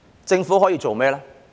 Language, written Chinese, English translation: Cantonese, 政府可以做甚麼？, What can the Government do?